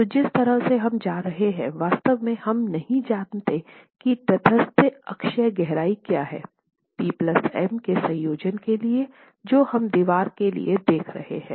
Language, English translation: Hindi, So, the way we go about is we really don't know what the neutral axis depth is for the combination of the combination of the P plus M that we are looking at for the wall considered